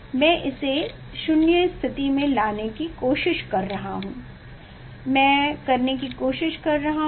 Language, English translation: Hindi, I am trying to make it 0 position, I am trying to yes